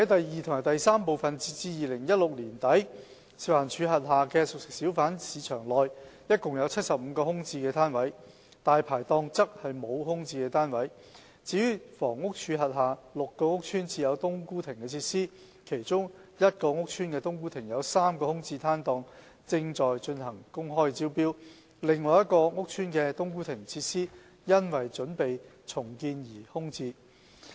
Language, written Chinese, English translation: Cantonese, 二及三截至2016年年底，食環署轄下的熟食小販市場內，共有75個空置的攤位；"大牌檔"沒有空置檔位；至於房屋署轄下6個屋邨設有"冬菇亭"設施，其中一個屋邨的"冬菇亭"有3個空置檔位正在進行公開招標，另一個屋邨的"冬菇亭"設施因準備重建而空置。, 2 and 3 As at the end of 2016 there are 75 vacant fixed pitches in the CFHBs managed by FEHD and no vacant stalls in Dai Pai Dongs . As for HDs six housing estates with cooked food kiosks open tender exercises are being conducted for three vacant stalls in one estate . In another housing estate its cooked food kiosk is vacant in preparation for redevelopment